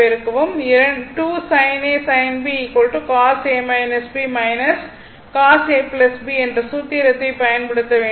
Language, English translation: Tamil, And it is 2 sin A sin B that is cos A minus B minus cos A plus B put that use that formula